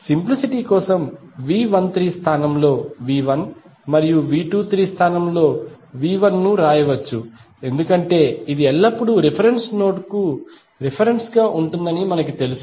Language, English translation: Telugu, For simplicity we can write V 1 as in place of V 13 and V 2 in place of V 23 because we know that this is always be with reference to reference node